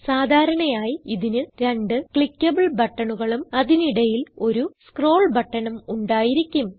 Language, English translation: Malayalam, Typically, it has 2 clickable buttons and a scroll button in between